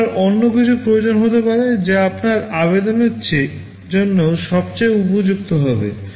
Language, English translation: Bengali, You may require something else, which will be best suited for your application